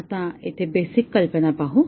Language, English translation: Marathi, Now, let us look at the basic idea here